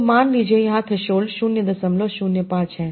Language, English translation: Hindi, So suppose here threshold is 0